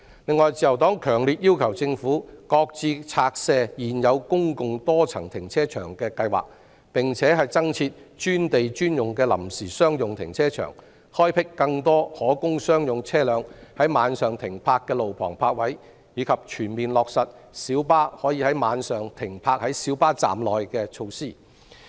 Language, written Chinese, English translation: Cantonese, 此外，自由黨強烈要求政府擱置拆卸現有公共多層停車場的計劃，增設專地專用的臨時商用停車場，開闢更多可供商用車輛於晚上停泊的路旁泊位，以及全面落實小巴可於晚上停泊在小巴站內等措施。, Besides the Liberal Party strongly requests the Government to shelve the plan to demolish existing public multi - storey car parks set up more purpose - built temporary commercial car parks provide more on - street parking spaces for commercial vehicles during night time and fully implement the measure to allow parking of PLBs at PLB stands during night time